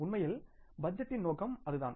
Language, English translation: Tamil, That is actually the purpose of budgeting